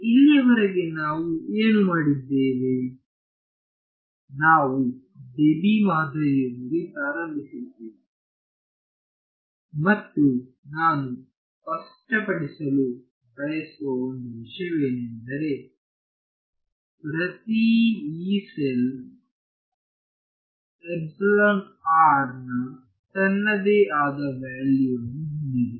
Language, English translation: Kannada, So, so far what we did was, we started with the Debye model and one thing I want to clarify is that every Yee cell has its own value of epsilon r ok